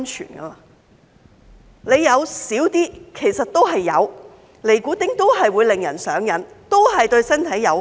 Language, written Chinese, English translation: Cantonese, 即使含量較少，其實都是有，尼古丁都是會令人上癮，都是對身體有害。, After all nicotine is addictive and even if the content is low the presence of nicotine is harmful to the body